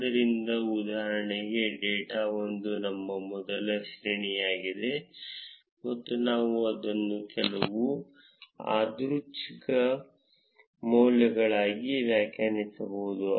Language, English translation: Kannada, So, for instance, data 1 would be our first array and we can define it as some random values